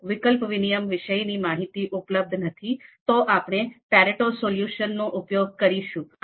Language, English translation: Gujarati, If trade off information is not available, then we will have to go with the Pareto solution